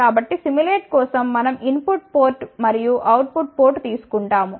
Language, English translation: Telugu, So, for the simulation what we do we take a input port output port